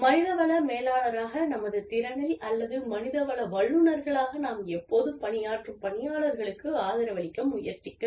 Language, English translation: Tamil, In our capacity, as human resources manager, we should, or human resources professionals, we should always strive to support the people, that we are working with